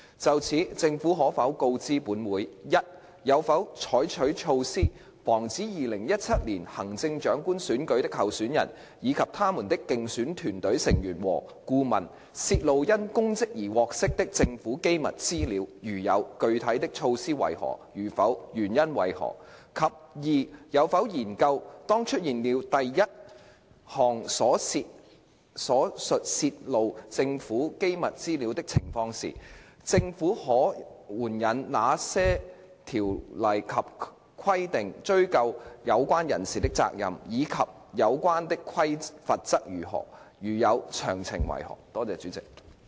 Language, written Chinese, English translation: Cantonese, 就此，政府可否告知本會：一有否採取措施，防止2017年行政長官選舉的候選人，以及他們的競選團隊成員和顧問，泄露因公職而獲悉的政府機密資料；如有，具體的措施為何；如否，原因為何；及二有否研究，當出現了第一項所述泄露政府機密資料的情況時，政府可援引哪些條例及規定追究有關人士的責任，以及有關的罰則為何；如有，詳情為何？, In this connection will the Government inform this Council 1 whether it has put in place measures to prevent candidates of the 2017 Chief Executive Election as well as their electioneering team members and advisers from divulging government confidential information to which they havehad access due to their public offices; if so of the specific measures; if not the reasons for that; and 2 whether it has studied where there has been such divulgence of government confidential information as mentioned in 1 which ordinances and regulations that the Government may invoke to hold the parties concerned responsible as well as the penalties concerned; if so of the details?